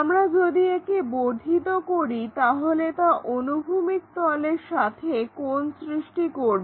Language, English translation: Bengali, If we are extending that is going to make an angle with the horizontal plane